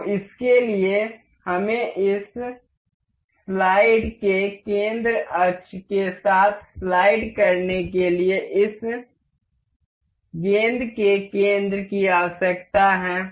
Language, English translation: Hindi, So, for that we have we need the center of this ball to slide along the center axis of this slide